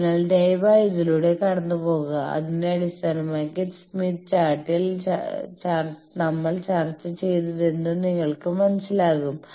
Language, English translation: Malayalam, So, please go through, you will understand whatever we have discussed in smith chart based on that